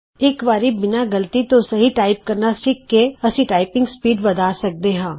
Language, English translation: Punjabi, Once, we learn to type accurately, without mistakes, we can increase the typing speed